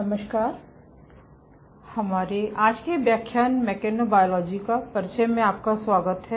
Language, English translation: Hindi, Hello, and welcome to our todays lecture of Introduction to Mechanobiology